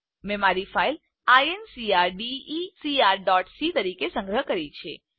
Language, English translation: Gujarati, I have saved my file as incrdecr.c